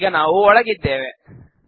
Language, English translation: Kannada, Now we are in